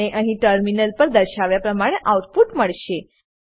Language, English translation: Gujarati, You will get an output as displayed here, on the terminal